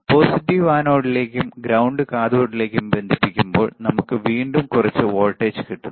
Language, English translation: Malayalam, Let us see when we are connecting positive to anode ground to cathode we are again looking at the some voltage right